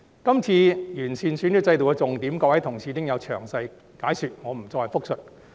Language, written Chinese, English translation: Cantonese, 今次完善選舉制度的重點，各位同事已經有詳細解說，我不再複述。, The key points of improving the electoral system this time around have already been explained in detail by various Honourable colleagues so I am not going to repeat them